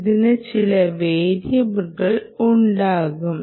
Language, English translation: Malayalam, ah, it can have certain variability